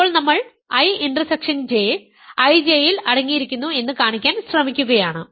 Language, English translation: Malayalam, Now, we are trying to show that I intersection J is contained in I J